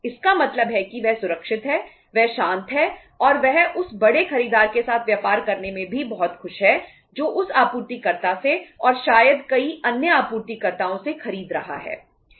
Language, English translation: Hindi, It means he is safe, he is peaceful and he is also very happy to do the business with the big buyer who is buying from that supplier and maybe from the many other suppliers